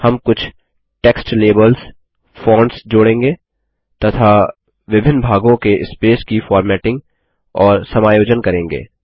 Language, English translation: Hindi, We will add some text labels, fonts, formatting and adjust the spacing among the various sections